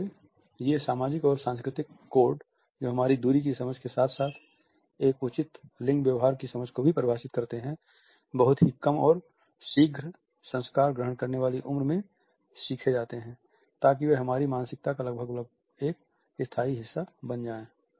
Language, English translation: Hindi, So, these social and cultural codes which define our understanding of distance and at the same time which define our understanding of a proper gendered behavior “are learnt at a very early and impressionable age” so that they become almost a permanent part of our psyche